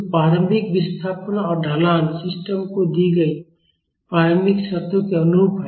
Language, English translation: Hindi, So, the initial displacement and the slope are corresponding to the initial conditions given to the system